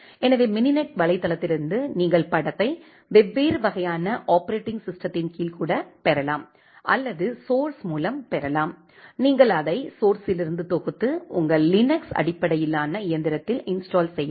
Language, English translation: Tamil, So, from the mininet website you can even get the image under different kind of operating system or you can also get the source, you can compile it from the source and install it to your Linux based machine